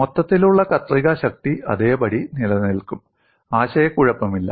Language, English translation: Malayalam, The overall shear force would remain same, that there is no confusion